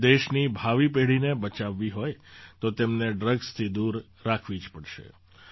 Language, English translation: Gujarati, If we want to save the future generations of the country, we have to keep them away from drugs